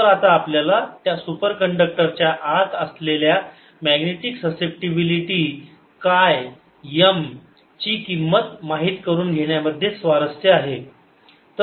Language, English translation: Marathi, so now we are interested to know the value of magnetic susceptibility, chi, m, inside that superconductor